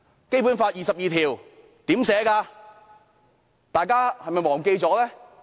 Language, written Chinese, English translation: Cantonese, 《基本法》第二十二條是怎麼寫的，大家是否忘記了？, Have we forgotten about the provision set out in Article 22 of the Basic Law?